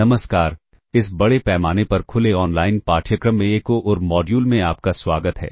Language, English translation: Hindi, Welcome to another module in this massive open online course